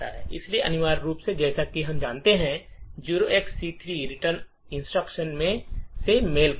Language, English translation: Hindi, So essentially as we know 0xc3 corresponds to the return instruction